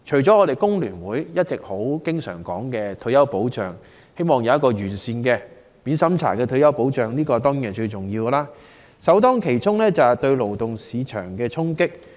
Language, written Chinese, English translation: Cantonese, 香港工會聯合會經常提到，希望有完善的免審查退休保障，而首當其衝的就是對勞動市場的衝擊。, Hence the Hong Kong Federation of Trade Unions has often expressed its wish for a comprehensive and non - means - tested retirement protection . With an ageing population the labour market will be the first to bear the brunt